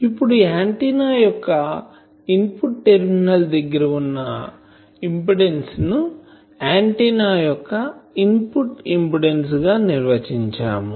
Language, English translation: Telugu, Now, input impedance of an antenna is defined as the impedance that is presented at the input terminals of an antenna